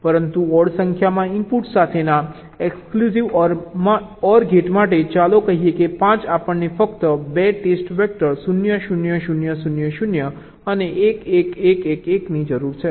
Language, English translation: Gujarati, but for an exclusive or gate with odd number of inputs, lets say five we need only two test vectors: zero, zero, zero, zero, zero and one, one, one, one, one